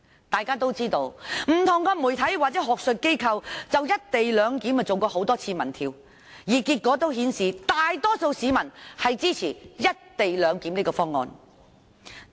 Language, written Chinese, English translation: Cantonese, 大家都知道，不同媒體或學術機構曾就"一地兩檢"進行多次民調，結果顯示大多數市民支持這個方案。, As we all know different media or academic institutions have conducted a number of opinion polls on the proposed co - location arrangement and the results showed that most people supported this proposal